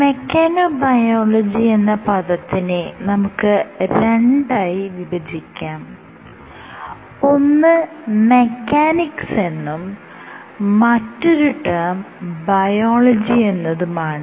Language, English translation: Malayalam, So, if you have to break down mechanobiology I can break it into two terms mechanics plus biology